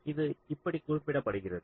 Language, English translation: Tamil, so this is what is used